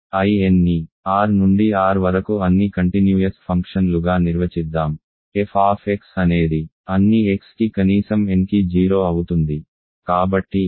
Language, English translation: Telugu, Let us define I n to be all continuous functions from R to R such that, fx is 0 for all x at least n ok